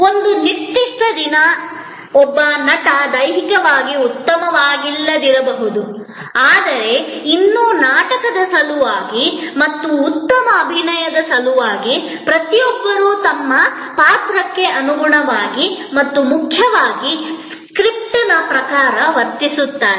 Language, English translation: Kannada, May be on a particular day, one actor is not feeling to well physically, but yet for the sake of the play and for the sake of good performance, every one acts according to their role and most importantly, according to the lines, the script given to them